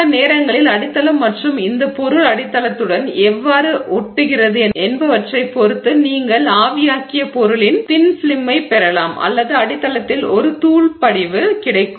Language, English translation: Tamil, And then you can sometimes again depending on the substrate and how it adheres how this material adheres to the substrate, you may end up getting a thin film of the material that you have evaporated or you will get a powdery deposit on that substrate